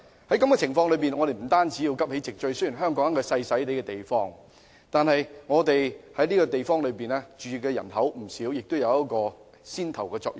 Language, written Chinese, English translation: Cantonese, 在這種情況下，我們要急起直追，雖然香港是一個細小的地方，但是在這個地方居住的人口並不少，而且香港應起牽頭的作用。, Under the circumstances we have to catch up with this trend . Notwithstanding a small place Hong Kong has a large population and should take a leading role